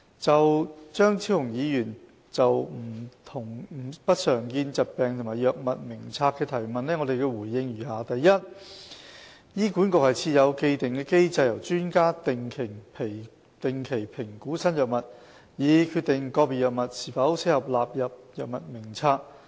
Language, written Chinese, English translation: Cantonese, 就張超雄議員就不常見疾病及藥物名冊的提問，我回應如下。一醫管局設有既定機制，由專家定期評估新藥物，以決定個別藥物是否適合納入藥物名冊。, My reply to the question raised by Dr Fernando CHEUNG on uncommon disorders and the Drug Formulary is as follows 1 HA has an established mechanism under which experts will evaluate new drugs regularly and determine whether a drug should be included in the Drug Formulary